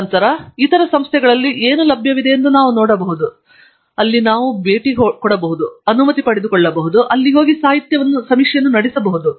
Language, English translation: Kannada, And then, we also can see what is available in other institutes, where we could perhaps go visit, take permission, and do the literature survey there